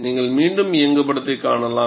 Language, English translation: Tamil, And you can see the animation again